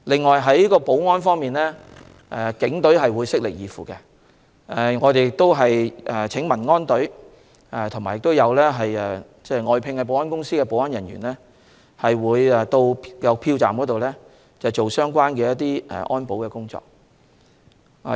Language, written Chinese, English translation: Cantonese, 此外，在保安方面，警隊會悉力以赴，我們也會請民安隊和外聘保安公司的保安人員在票站進行安保工作。, On security the Police will spare no effort to provide service . We have also invited the Civil Aid Service and security personnel of private security companies to perform security duties at the polling stations